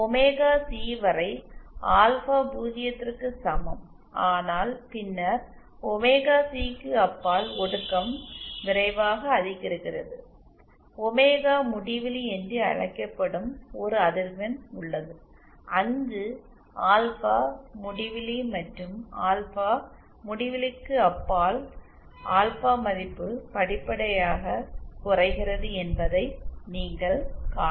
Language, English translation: Tamil, Till omega C, alpha is equal to 0, but then beyond omega c the attenuation increases rapidly, there is a frequency called the omega infinity where alpha is infinity and beyond alpha infinity you can see that the alpha value decreases gradually